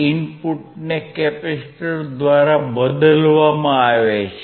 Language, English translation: Gujarati, Rin is replaced by C